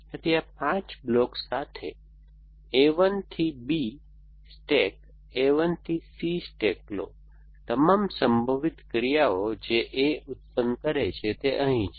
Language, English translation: Gujarati, So, with this 5 blocks pick up a stack A 1 to B, stack A 1 to C, all possible actions that produce and work A goes actions